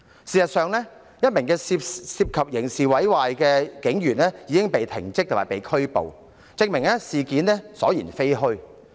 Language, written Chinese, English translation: Cantonese, 事實上，一名涉嫌刑事毀壞的警員已被停職及拘捕，證明事件所言非虛。, As a matter of fact a police officer suspected of criminal damage has been interdicted and arrested thus proving what was said about the incident is true